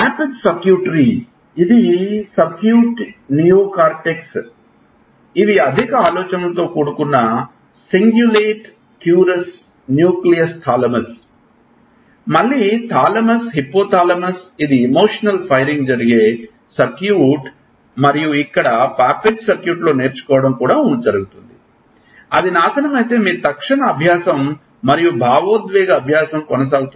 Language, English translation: Telugu, Cingulate cuirass, nucleolus thalamus, again thalamus, hippo thalamus, hippo thalamus this is the circuit where the emotional firing goes on and this is where learning also goes on the Papez circuit, if it gets destroyed your immediate learning and emotional learning will go on